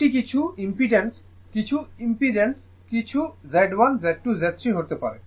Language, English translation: Bengali, So, it is not pure R it may be some impedance, some impedance, some Z1, Z2, Z3